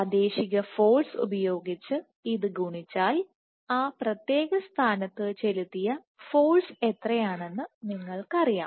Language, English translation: Malayalam, And by this by multiplying this by the local force you know what is the force exerted and at that particular point